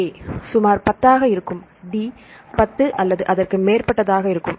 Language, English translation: Tamil, So, A will be around 10 or D will be around 10 or so on